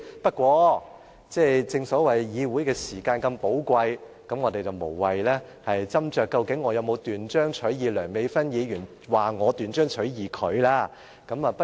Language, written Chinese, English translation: Cantonese, 不過，正所謂議會時間如此寶貴，我們無謂斟酌我究竟有否斷章取義梁美芬議員所說我斷章取義她所說的話。, However the time of the Legislative Council is so precious as we often say . I do not think that we should dwell on whether I really quoted the words concerned out of context as Dr Priscilla LEUNG claimed